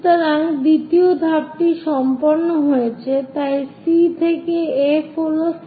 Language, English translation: Bengali, So, 2nd step done so C to F is 70 mm